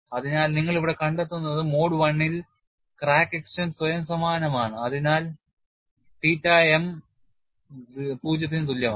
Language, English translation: Malayalam, So, what you find here is, in mode one the crack extension is self similar and thus theta m equal to 0